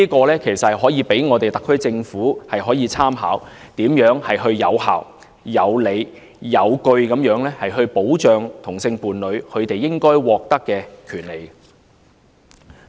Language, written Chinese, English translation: Cantonese, 這可以供特區政府參考，探討如何有效、有理、有據地保障同性伴侶應該獲得的權利。, This can serve as a point of reference for the SAR Government to explore how to effectively reasonably and justifiably safeguard the rights due to homosexual couples